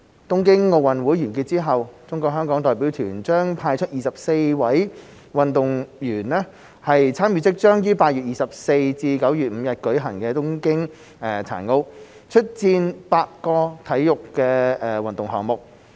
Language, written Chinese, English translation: Cantonese, 東京奧運完結後，中國香港代表團將派出24位運動員參與即將於8月24日至9月5日舉行的東京殘奧，出戰8個運動項目。, After the Tokyo Olympics is over the Hong Kong China delegation with 24 athletes will participate in the Tokyo Paralympic Games to be held from 24 August to 5 September participating in eight sports